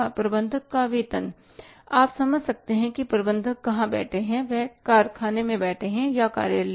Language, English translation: Hindi, A major salary, you can understand where the manager is sitting, he is sitting in the factory or in the office